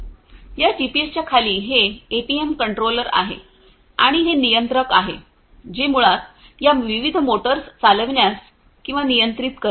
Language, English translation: Marathi, And, below this GPS is this APM controller and it is this controller which basically makes or controls these different motors to operate